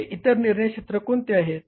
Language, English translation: Marathi, What are those other decision areas